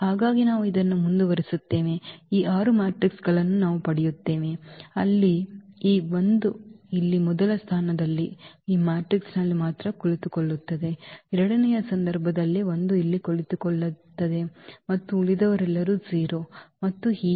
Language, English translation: Kannada, And so on we continue with this we get these 6 matrices where this 1 is sitting here at the first position only in this matrix, in the second case 1 is sitting here and all others are 0 and so on